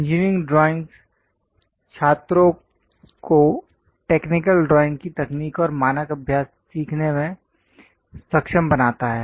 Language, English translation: Hindi, Engineering drawings enables the students to learn the techniques and standard practice of technical drawing